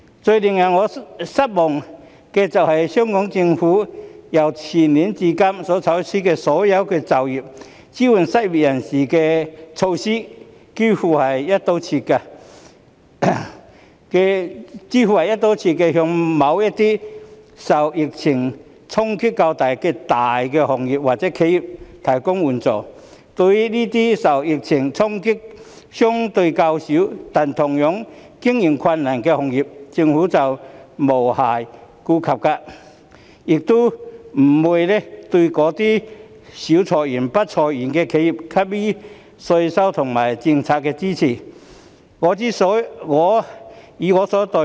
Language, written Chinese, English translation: Cantonese, 最令我失望的是，香港政府由前年至今採取的所有"保就業"、支援失業人士的措施，幾乎都是"一刀切"地向某些受疫情衝擊較大的大行業或企業提供援助，對於那些受疫情衝擊相對較小，但同樣經營困難的行業，政府卻無暇顧及，亦不會對那些少裁員、不裁員的企業給予稅務及政策支持。, What is most disappointing to me is that all the measures taken by the Hong Kong Government since the year before last to safeguard jobs and support the unemployed seem to provide assistance in a broad - brush manner to certain major industries or enterprises which have been hit harder by the epidemic . As regards those industries which are subjected to less impact from the epidemic but are also operating with difficulties the Government did not take time to look after them . Neither did it give any taxation and policy support to those enterprises which had few or no layoffs